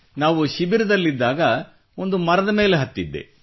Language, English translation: Kannada, While we were at camp I climbed a tree